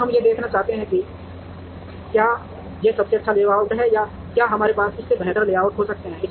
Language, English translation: Hindi, Now, we want to see whether this is the best layout or can we have other layouts better than this